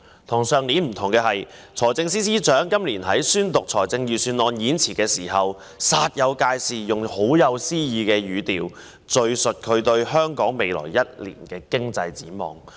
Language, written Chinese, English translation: Cantonese, 與去年不同的是，今年財政司司長在宣讀預算案演辭時，煞有介事地用甚富詩意的語調，敘述他對香港未來一年的經濟展望。, Unlike last year the Financial Secretary has in this years budget speech used a very poetic tone in all seriousness to describe his economic outlook for Hong Kong in the coming year . He said Every cloud has a silver lining